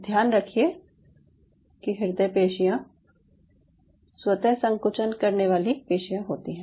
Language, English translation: Hindi, and, and mind it, cardiac cells are spontaneously contracting muscle